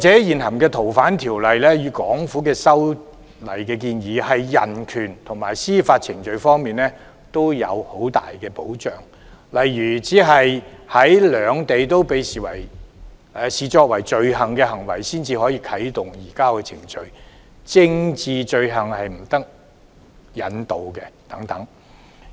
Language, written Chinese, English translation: Cantonese, 現行《逃犯條例》與港府的修例建議，對人權及司法程序均有很大保障，例如只有在兩地均被視作罪行的行為才可啟動移交程序、政治罪犯不得引渡等。, The present Fugitive Offenders Ordinance and the Hong Kong Governments proposed legislative amendments provide great protection to human rights and judicial procedure . For example a surrender procedure will be activated only for actions that both places recognize as offences political offenders shall not be extradited and so on